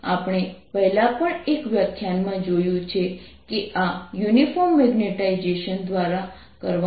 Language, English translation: Gujarati, we have already seen in one of the lectures earlier that this is done by a uniform magnetization